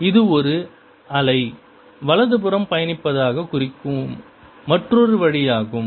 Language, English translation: Tamil, and this is the wave equation for wave that is traveling to the right